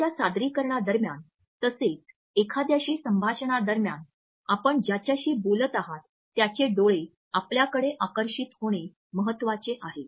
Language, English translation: Marathi, During a presentation as well as during a one to one conversation it is important to captivate the eyes of the person with whom you are talking